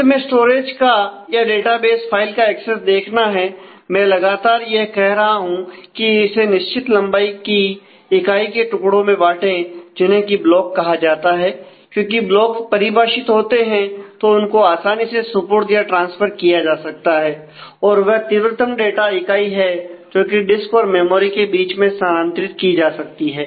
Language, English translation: Hindi, So, finally, the access to the storage the database file as I have been repeatedly saying is partition into fix length units called blocks, because blocks are defined; so that they can be easily allocated and transfer and they are the fastest unit of data that can be transferred between the disk and the memory